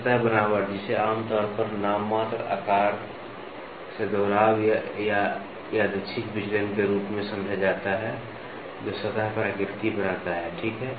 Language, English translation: Hindi, Surface texturing, it is generally understood as a repetitive or random deviations from the nominal size that forms the pattern on a surface, ok